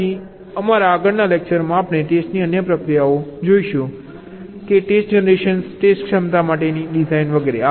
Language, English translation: Gujarati, ok, so in our next lecture that will follow, we shall be looking at the other processes of testing, like test generation, design for test ability, etcetera